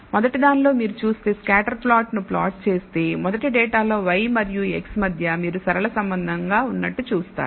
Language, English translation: Telugu, In the first one if you look at if you plot the scatter plot you will see that there seems to be linear relationship between y and x in the first data